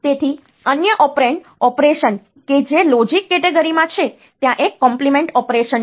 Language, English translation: Gujarati, So, another operand the operation that is there in in logic category there is a compliment; so this complement operation